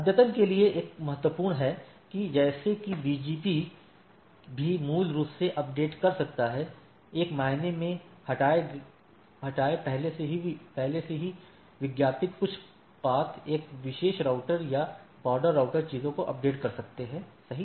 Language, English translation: Hindi, There is a important for update like means that BGP also can basically update; in a sense, remove create a already advertised some path a particular router or border router can update the things, right